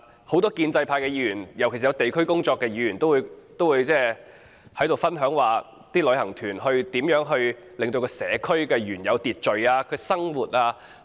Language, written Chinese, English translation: Cantonese, 很多建制派議員，尤其從事地區工作的議員，都分享旅行團如何影響社區的原有秩序和生活。, Many pro - establishment Members particularly those who serve local communities have all shared their stories about how tour groups have affected the order of local communities and peoples lives